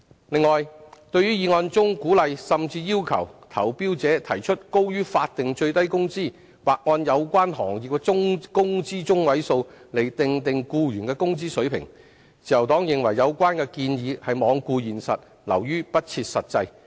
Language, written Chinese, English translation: Cantonese, 此外，對於議案中鼓勵甚至要求投標者提出高於法定最低工資，或按有關行業的工資中位數訂定僱員的工資水平，自由黨認為有關建議罔顧現實，流於不設實際。, Furthermore as to the proposal in the motion for encouraging or even requiring tenderers to offer to employees wage levels higher than the statutory minimum wage or to set the wage levels according to the median wage of the relevant industries the Liberal Party considers that it has disregarded the reality and is therefore unrealistic